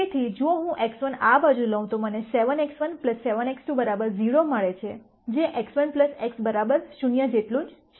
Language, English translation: Gujarati, So, if I take x 1 to this side I get 7 x 1 plus 7 x 2 equals 0, which is the same as x 1 plus x 2 equals 0